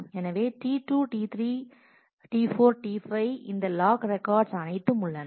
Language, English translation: Tamil, So, T 2, T 3, T 4, T 5 all these log records exist